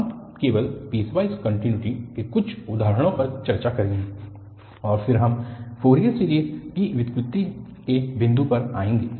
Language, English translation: Hindi, We will just discuss some examples on piecewise continuity and then we will come to the point of the derivation of the Fourier series